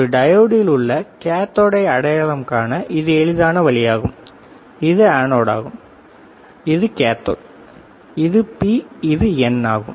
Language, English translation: Tamil, There is a cathode is easy way of identifying diode which is anode, which is cathode which is P which is N